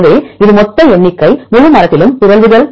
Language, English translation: Tamil, So, this is the total number of mutations in the entire tree